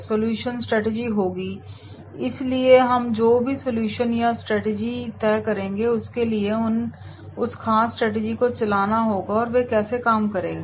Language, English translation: Hindi, Solution will be the strategies, so whatever the solution or strategies we decide then that has to be they should drive that particular strategies, how they are going to operate